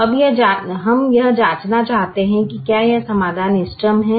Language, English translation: Hindi, now we want to check whether this solution is the best solution